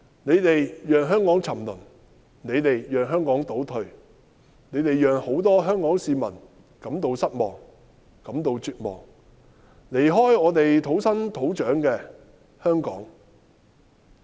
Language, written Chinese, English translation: Cantonese, 你們讓香港沉淪，你們讓香港倒退，你們讓眾多香港市民感到失望，感到絕望，要離開他們土生土長的香港。, They have caused the degradation and retrogression of Hong Kong . They have disappointed the general public of Hong Kong driving them to despair and forcing them to leave their native Hong Kong